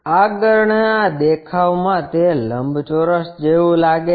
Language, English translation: Gujarati, In the front view it looks like a rectangle